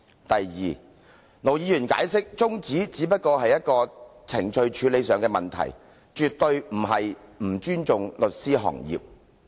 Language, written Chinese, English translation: Cantonese, 第二，盧議員解釋，他動議中止待續議案，只是程序處理問題，絕非不尊重律師行業。, Second Ir Dr LO explained that he moved the adjournment motion as a matter of procedure and he had no disrespect for the legal profession